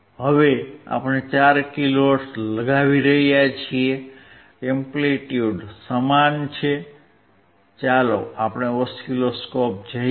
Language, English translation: Gujarati, Now we are applying 4 kilo hertz, amplitude is same, let us see the oscilloscope